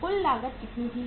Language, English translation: Hindi, Total cost is was how much